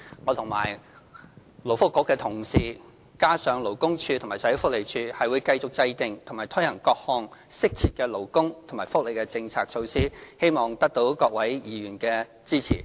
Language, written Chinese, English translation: Cantonese, 我和勞工及福利局的同事，並聯同勞工處和社會福利署，將繼續制訂和推行各項適切的勞工及福利政策措施，希望得到各位議員的支持。, Our colleagues and I in collaboration with LD and SWD will continue to formulate and implement timely labour and welfare policies and hope that Honourable Members will give us support